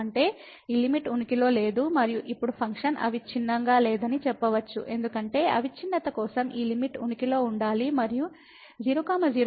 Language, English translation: Telugu, So; that means, this limit does not exist and now we can just say that the function is not continuous because for continuity this limit should exist and should approach to the derivative at 0 0 point